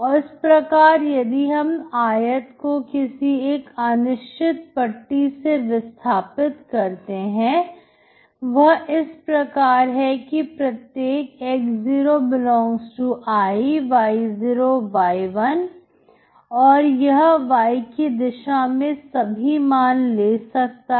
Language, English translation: Hindi, So if I remove the rectangle with an infinite strip that is for every x0∈ I, [y0 y1] takes all the values in y direction